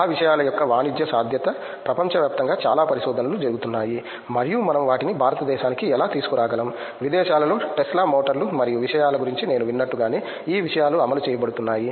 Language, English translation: Telugu, The commercial viability of those things a lot of research is going on throughout the world and how we can bring those things to India, like in abroad those things are being implemented like we I have heard of Tesla motors and stuff